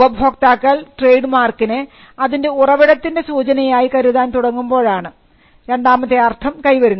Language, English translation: Malayalam, Secondary meaning is acquired when the customers recognize a mark as a source of indicator